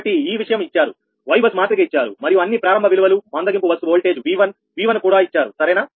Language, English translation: Telugu, so this thing is given, y bus matrix is given and all the initial values: slack bus voltage: v one